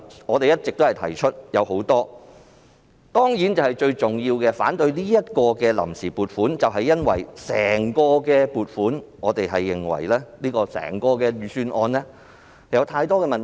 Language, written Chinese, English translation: Cantonese, 我們提出了很多反對理由，而反對這項臨時撥款建議的最重要原因，是我們認為整份預算案有太多問題。, We have put forward many reasons for our objection and the most important reason for opposing this Vote on Account Resolution is that we have identified many problems with the entire Budget